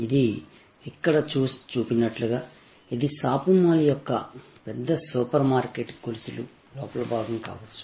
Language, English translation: Telugu, And just as it shows here, this could be the interior also of a shopping mall or a large supermarket chain and so on